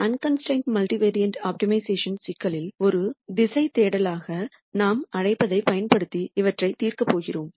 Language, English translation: Tamil, In unconstrained multivariate optimization problems we are going to solve these using what we call as a directional search